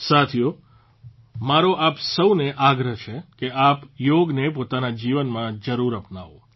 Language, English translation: Gujarati, Friends, I urge all of you to adopt yoga in your life, make it a part of your daily routine